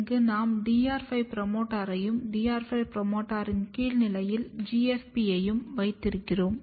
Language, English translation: Tamil, Here we have placed DR5 promoter and downstream of DR5 promoter we have placed GFP